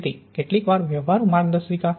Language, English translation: Gujarati, So some practical guidelines